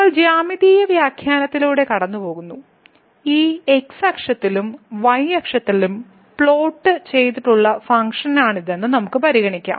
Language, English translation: Malayalam, So, if we go through the geometrical interpretation, so, let us consider this is the function which is plotted in this and the here